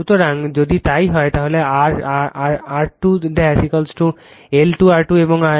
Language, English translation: Bengali, So, if it is so, if it is so, therefore, R 2 dash is equal to L square R 2 and X 2 dash is equal to K square X 2